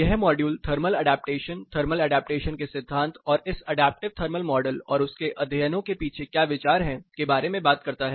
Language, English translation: Hindi, This module talks about Thermal Adaptation, the concept of thermal adaptation, and what is the idea behind this adaptive comfort model and the studies